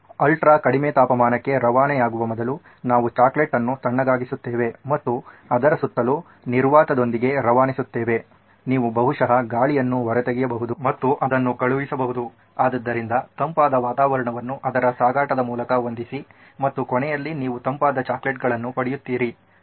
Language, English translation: Kannada, Well we will cool the chocolate before it’s shipped to ultra low temperatures and then ship it with vacuum around it that you can probably pull out the air and send it across so set a cooler environment all through its shipping and at the end you get is the cool chocolates